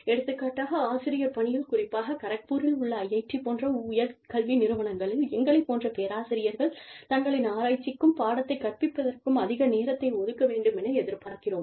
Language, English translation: Tamil, For example, in the teaching profession, especially in institutes of higher education like, IIT, Kharagpur, we expect our faculty, to devote as much time, as is necessary, to their research and teaching